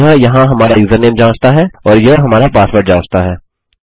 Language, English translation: Hindi, Thats checking our username there and this is checking our password